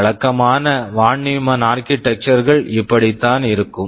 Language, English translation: Tamil, This is how typical Von Neumann Architectures look like